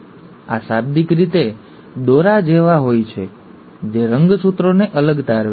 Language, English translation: Gujarati, These are literally like threads, which are pulling the chromosomes apart